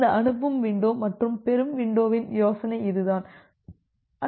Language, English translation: Tamil, So, that is the idea of this sending window and the receiving window